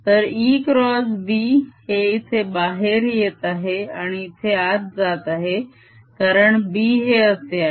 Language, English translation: Marathi, e cross b is coming out here and going in here, because b is like this